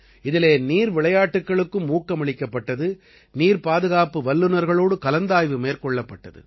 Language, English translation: Tamil, In that, water sports were also promoted and brainstorming was also done with experts on water security